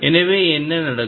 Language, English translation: Tamil, So, what could happen